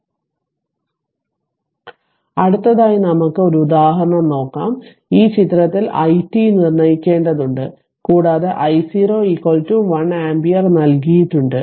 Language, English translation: Malayalam, So, now next let us take 1 example, in in this figure you have to determine i t and i y t given that I 0 is equal to 1 ampere